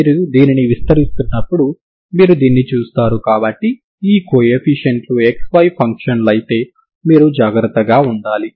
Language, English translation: Telugu, You see this when you are expanding so you have to be careful if these coefficients are functions of X Y ok